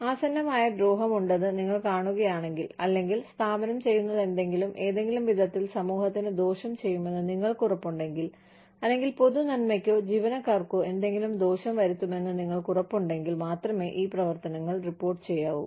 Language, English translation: Malayalam, If you can see, that there is impending harm, if you can, if you are sure, that whatever the organization is doing, will in some way harm the community, or harm the, or bring some harm to the public good, or to the employees